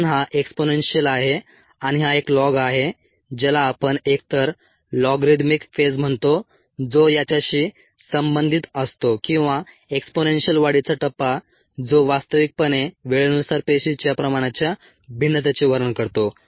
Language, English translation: Marathi, since this is exponential and this is a log, we call the phase as either an logarithmic phase, which corresponds to this, or an exponential growth phase, which actually describes the variation of cell concentration with type